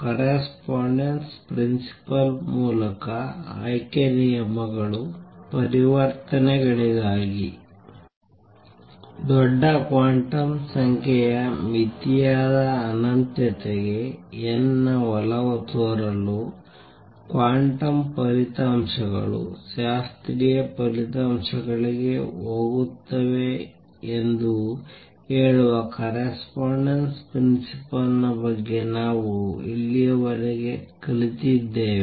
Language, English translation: Kannada, Introdu We have learnt so far about the correspondence principle that says that for n tending to infinity that is the large quantum number limit, the quantum results go to classical results